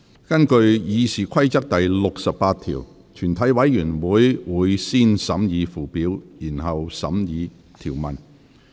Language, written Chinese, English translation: Cantonese, 根據《議事規則》第68條，全體委員會會先審議附表，然後審議條文。, In accordance with Rule 68 of the Rules of Procedure the committee will first consider the Schedule and then the clauses